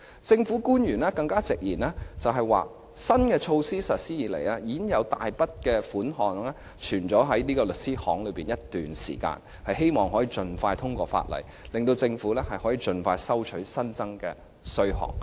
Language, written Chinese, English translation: Cantonese, 政府官員更直言，新措施實施以來，已經有大筆稅款存在律師樓一段時間，希望可以盡快通過《條例草案》，令政府可以盡快收取稅款。, Public officers have also admitted that since the implementation of the new measure a large sum of stamp duty collected has been deposited in law firms . It is hoped that after the passage of the Bill the Government can collect the money as soon as possible